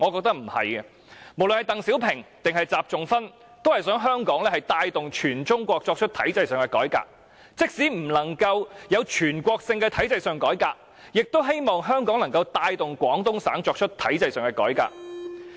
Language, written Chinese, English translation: Cantonese, 不論鄧小平還是習仲勳皆想香港帶動全中國作出體制上的改革，而即使不能實施全國性的體制改革，也希望香港能夠帶動廣東省作出體制上的改革。, Both DENG Xiaoping and XI Zhongxun wished that Hong Kong could drive the entire China to undertake systemic reform . They hoped that even if nationwide systemic reform was impossible Hong Kong could drive the Guangdong Province to undertake systemic reform